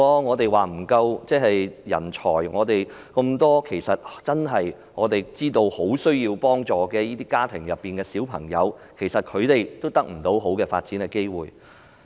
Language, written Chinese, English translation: Cantonese, 我們常常說人才不足，其實我們知道很多需要協助的家庭的孩子得不到良好的發展機會。, We often say there is a lack of talents . We actually know that many children in families in need of assistance do not have access to any good opportunity of development